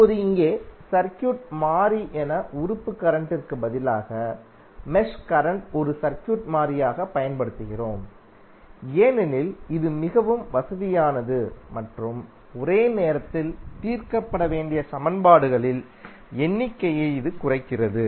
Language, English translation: Tamil, Now, here instead of element current as circuit variable, we use mesh current as a circuit variable because it is very convenient and it reduces the number of equations that must be solved simultaneously